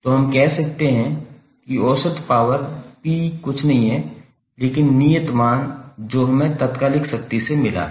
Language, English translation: Hindi, So we can say that the average power P is nothing but the constant term which we have got from the instantaneous power